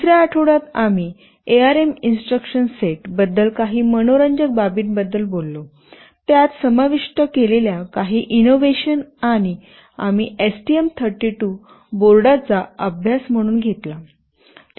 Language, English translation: Marathi, During the 2nd week, we talked about some interesting aspects about the ARM instruction set, some innovations that were incorporated therein, and we took as a case study the STM32 board